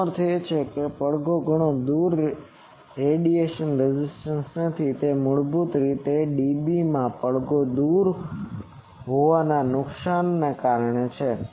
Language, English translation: Gujarati, That means, far from the resonance there is no radiation resistance, so it is basically due to the loss far from the resonance in dB this is also in dB